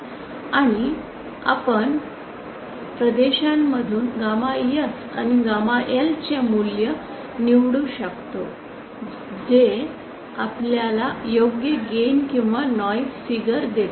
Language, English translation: Marathi, And we can chose from these regions those value of gamma S and gamma L that give us correct gain or noise figure